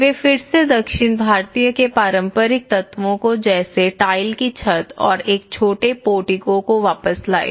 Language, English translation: Hindi, They again brought back the traditional elements of the south Indian with the tile roof over that and with a small portico